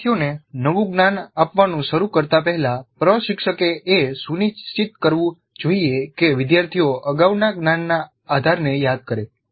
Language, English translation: Gujarati, So before commencing with new knowledge to be imparted to the students, instructor must ensure that learners recall the relevant previous knowledge base